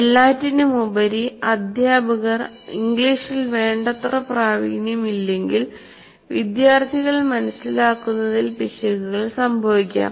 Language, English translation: Malayalam, For example, if a teacher is not very fluent in English, there can be errors in communicating by the teacher